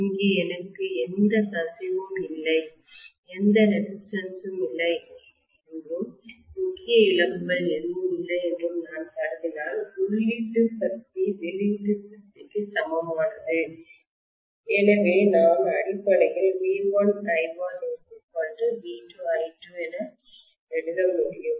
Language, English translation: Tamil, So if I assume that there is no resistance and there are no core losses very clearly I am going to have whatever is the input power is equal to the output power, so I should be able to write basically V1 I1 equal to V2 I2 that’s it, right